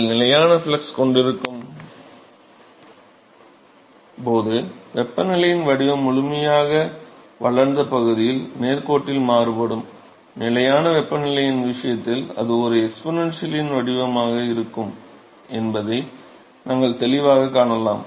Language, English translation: Tamil, Also we can clearly see that when you have constant flux the temperature profile is going to vary linearly in the fully developed region, while in the case of constant temperature it is going to be an exponential profile